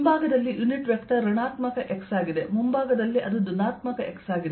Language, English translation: Kannada, the unit vector on the backside is negative x, on the front side its positive x